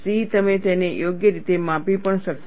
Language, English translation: Gujarati, You may not be able to even measure it properly